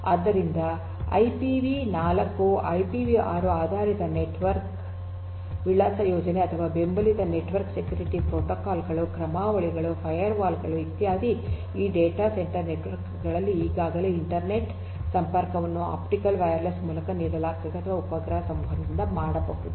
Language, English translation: Kannada, So, IPV4 or IPV6 based network addressing scheme or supported network security protocols, algorithms, firewalls etcetera are already in place you in these data centre networks, internet connectivity is offered through optical wireless or satellite can communication